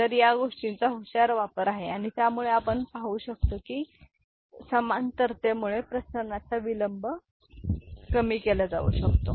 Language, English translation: Marathi, So, that is a clever use of this thing and by which we can see this because of the parallelism the propagation delay can be reduced